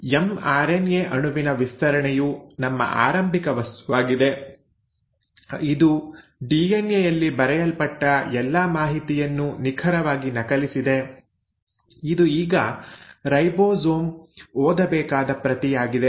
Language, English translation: Kannada, Now our starting material is this stretch of mRNA molecule which has, you know, meticulously copied all the information which was written in the DNA, so this is now the script which the ribosome needs to read